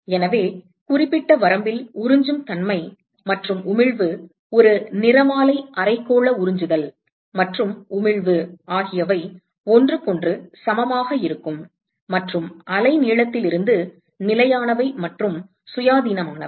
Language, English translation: Tamil, So, at certain range, the absorptivity and the emissivity is a spectral hemispherical absorptivity and emissivity they happen to be equal to each other and constant and independent of the wavelength